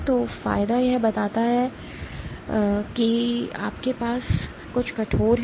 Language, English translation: Hindi, So, advantage; what it conveys is that if you have something stiff